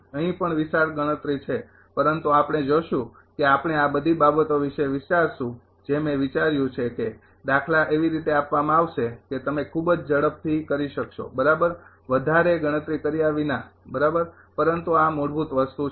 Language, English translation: Gujarati, Here also huge competition is there, but ah we will see that ah we will think of all this things I have thought over that the problem will be given in such a fashion such that you can do it quickly right without ah calculating too much right, but these are the basic thing